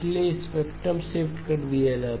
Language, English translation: Hindi, So spectrally shifted